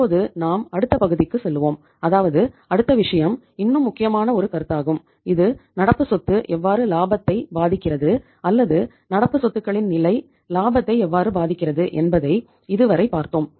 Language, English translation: Tamil, Now we will move to the next part that is say next thing that is the means it is one more important concept that till now we have seen that say how the current asset impact the profitability or level of the current assets impact the profitability